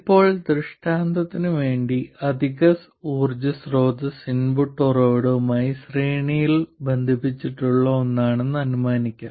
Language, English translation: Malayalam, Now just for illustration sake, now just for illustration sake, let me assume that the additional source of power is something connected in series with the input source